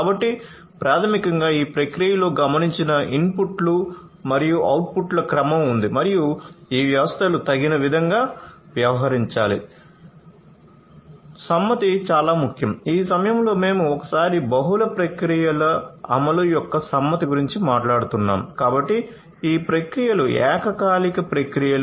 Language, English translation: Telugu, So, basically there is a sequence of observed inputs and outputs in the process and that has to be dealt with by these systems suitably